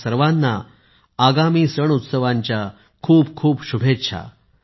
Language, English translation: Marathi, My very best wishes to all of you for the forthcoming festivals